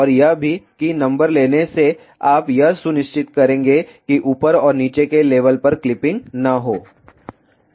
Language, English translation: Hindi, And also by taking that number you will ensure that there is a not clipping at the top and the bottom level